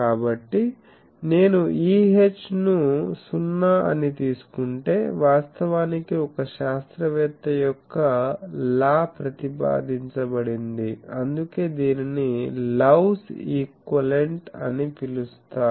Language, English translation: Telugu, So, if I take E H 0 then actually law of one scientist proposed, that is why it is called Love’s equivalent